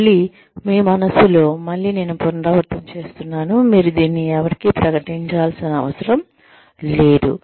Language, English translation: Telugu, Again, in your own mind, again I am repeating, you do not need to declare this to anyone